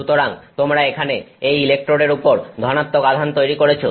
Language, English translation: Bengali, So, you build positive charges here on the electrode